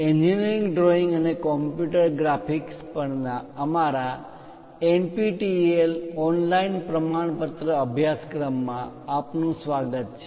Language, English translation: Gujarati, Welcome to our NPTEL online certification courses on Engineering Drawing and Computer Graphics